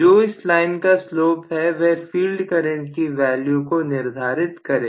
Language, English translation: Hindi, Whatever, the slope of this line that is going to determine the field current